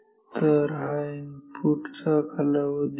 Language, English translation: Marathi, So, this is the input time period